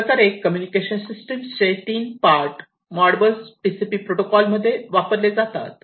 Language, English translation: Marathi, So, these are the three parts of the communication system, that are used in the Modbus TCP protocol